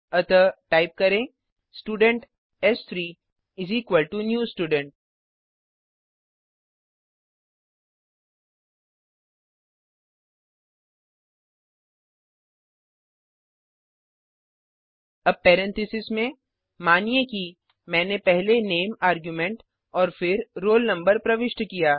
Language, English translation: Hindi, So type Student s3= new Student() Now within parentheses, suppose i gave the name argument first and then the roll number